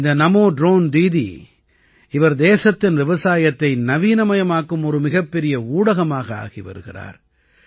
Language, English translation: Tamil, This Namo Drone Didi is becoming a great means to modernize agriculture in the country